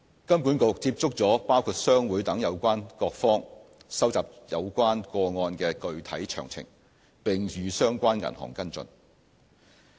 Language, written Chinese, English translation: Cantonese, 金管局接觸了包括商會等有關各方，收集有關個案的具體詳情，並與相關銀行跟進。, HKMA has engaged various stakeholders including chambers of commerce to gather details of specific incidents and followed up with the banks concerned